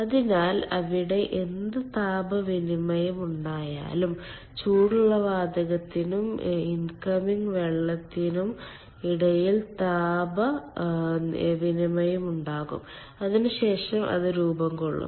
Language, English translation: Malayalam, so whatever heat exchange is there, heat exchange is there between the hot gas and the incoming ah, water, ah and steam